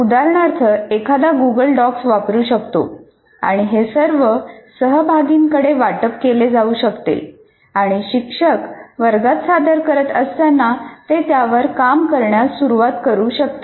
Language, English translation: Marathi, For example, one can use what you can call as Google Docs and it can be given to all the participants and they can start working on it while the teacher is presenting in the class